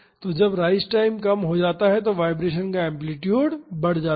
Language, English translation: Hindi, So, when the rise time reduces the amplitude of the vibration increases